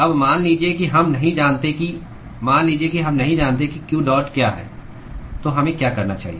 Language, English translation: Hindi, , supposing we do not know what q dot is, what should we do